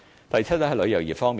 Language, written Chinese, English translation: Cantonese, 第七，是旅遊業方面。, Seventh it is the tourism industry